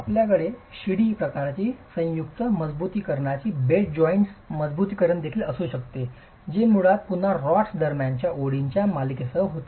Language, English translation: Marathi, You can also have this ladder type joint reinforcement, bed joint reinforcement, which is basically with a series of lugs between the rods